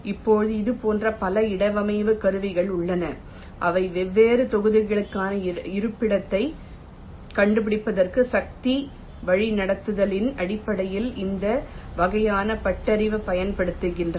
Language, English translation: Tamil, now there has been a number of such placement tools which use this kind of heuristic, based on force directive placement, to actually find out the location for the different blocks